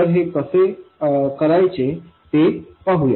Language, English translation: Marathi, So, let's see how to do this